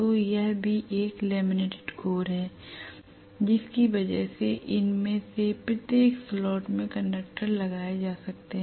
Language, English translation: Hindi, So this is also a laminated core because of which I may have conductors put in each of these slots like this